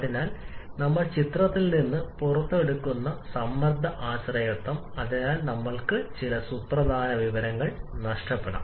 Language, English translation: Malayalam, So, that pressure dependence we are taking out of the picture and therefore we may again lose some significant information